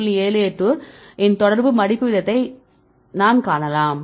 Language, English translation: Tamil, 78 with the experimental folding rate